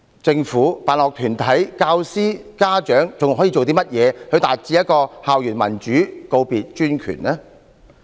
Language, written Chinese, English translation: Cantonese, 政府、辦學團體、教師、家長還可以做甚麼，以達致校園民主，告別專權？, What can the Government sponsoring bodies teachers and parents do to achieve democracy on campus and put an end to despotism?